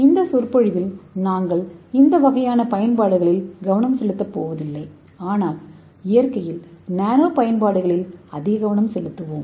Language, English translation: Tamil, So in this lecture we are not going to focus this kind of applications, so let us focus more on nano in nature